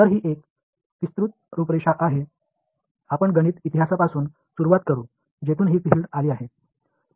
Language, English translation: Marathi, So, this is a broad outline, we will start with mathematical history of where this field has come from